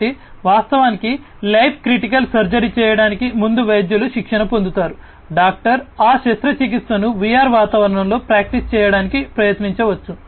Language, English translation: Telugu, So, doctors are trained before actually performing a life critical surgery, the doctor can try to practice that surgery in the VR environment